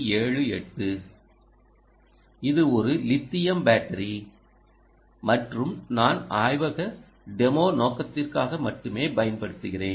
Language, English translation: Tamil, this is a lithium battery and that i am using just for the lab demo purpose